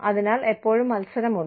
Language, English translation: Malayalam, So, there is always competition